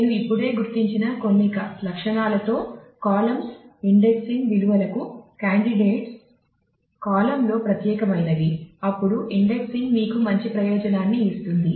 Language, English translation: Telugu, The columns with some of the characteristics I have just noted down are good candidates for indexing values are relatively unique in the column, then indexing will give you a good benefit